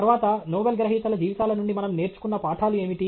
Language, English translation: Telugu, Then, what are the lessons we learned from lives of Nobel Laureates